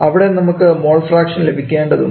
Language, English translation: Malayalam, There have to get the mole fraction